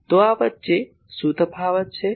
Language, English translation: Gujarati, So, what is the difference between this